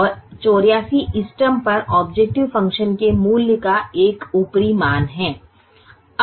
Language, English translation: Hindi, and eighty four is now an upper estimate of the value of the objective function at the optimum